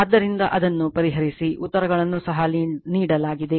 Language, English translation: Kannada, So, you solve it , answers are also given